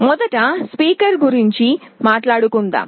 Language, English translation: Telugu, First let us talk about a speaker